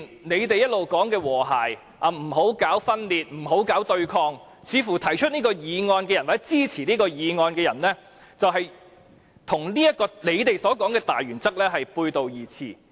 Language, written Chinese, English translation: Cantonese, 他們一直說要和諧，不要搞分裂，不要搞對抗，但提出譴責議案或支持譴責議案的人，似乎正與他們所說的大原則背道而馳。, We will proceed with the Councils business and there will be no more disputes and overstatement . They always claim to aspire to harmony and urge others not to provoke division and opposition yet the mover of the censure motion and those supporters of it seem to be acting against this primary principle they claim to uphold